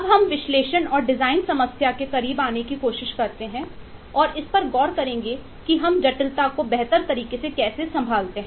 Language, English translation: Hindi, now we try to get closer to the design problem, the analysis and design problem, and look into how we handle the complexity uh better